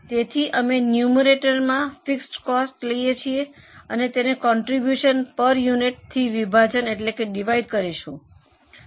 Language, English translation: Gujarati, So, we take fixed costs in the numerator and divide it by contribution per unit